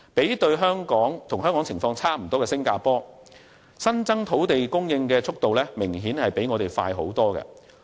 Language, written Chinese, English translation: Cantonese, 與香港情況相若的新加坡，土地供應的增長速度明顯較我們快很多。, Although Singapore has many similarities with Hong Kong the growth of land supply is apparently much faster